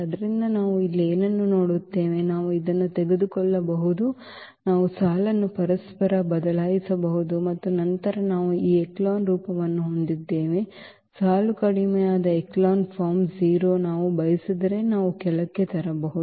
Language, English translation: Kannada, So, what do we see here, we can actually just take this we can interchange the row and then we have this echelon form; row reduced echelon form the 0 we can bring to the bottom if we like